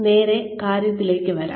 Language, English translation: Malayalam, Come straight to the point